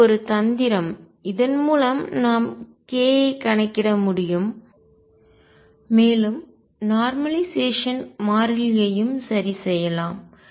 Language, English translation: Tamil, This is a trick through which we count case we can enumerate k and we can also fix the normalization constant